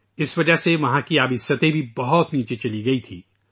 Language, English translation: Urdu, Because of that, the water level there had terribly gone down